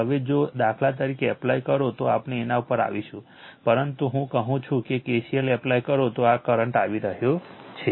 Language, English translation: Gujarati, Now, if you apply for example, we will come to that, but am telling you if you apply KCL let this current is coming right in coming